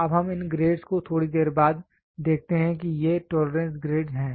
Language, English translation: Hindi, So, now let us see these grades little later these are tolerance grades